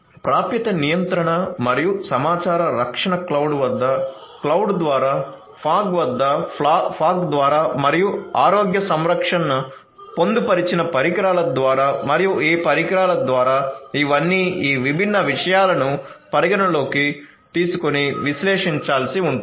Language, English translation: Telugu, So, access control and data protection at through the cloud at the cloud, through the fog at the fog and also through the healthcare embedded devices and at these devices these are all these different things that will have to be taken into consideration and analyzed